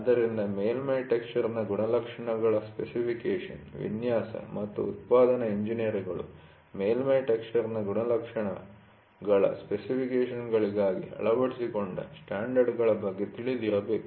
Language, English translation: Kannada, So, specification of surface texture characteristics, design and production engineers should be familiar with the standards adopted for specification of the characteristics of a surface texture